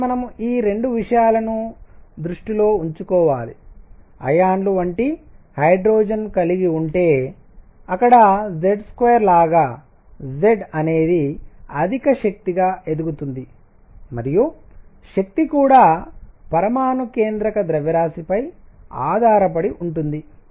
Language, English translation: Telugu, So, so keep this in mind that 2 things if we have hydrogen like ions where Z is higher energy goes up as Z square and energy also depends on the nucleus mass